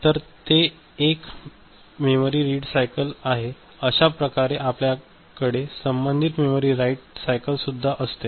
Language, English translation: Marathi, So, if that is a memory read cycle we’ll be having a corresponding memory write cycle ok